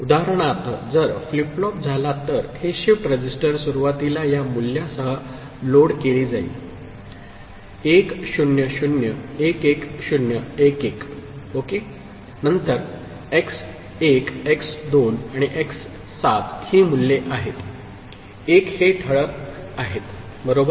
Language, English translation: Marathi, For example, if the flip flops this shift registers is initially loaded with this value 1 0 0 1 1 0 1 1 ok, then x1 x2 and x7 are these values, the ones in the bold, right